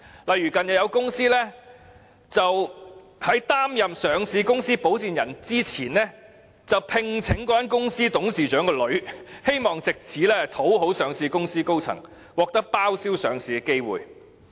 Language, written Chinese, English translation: Cantonese, 例如近日有公司在擔任上市公司保薦人之前，聘請了該公司董事長的女兒，希望藉此討好上市公司高層，獲得包銷上市的機會。, For example in a recent case in order to butter up the senior management of a listed company and have the chance to underwrite the companys shares to be listed in the market the sponsor of that company has employed the daughter of the companys board chairman before its service was commissioned